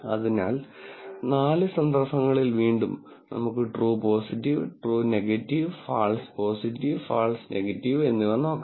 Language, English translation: Malayalam, So, in the four cases again, let us look at it true positive, true negative, false positive, false negative